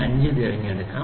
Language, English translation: Malayalam, 25 in the next step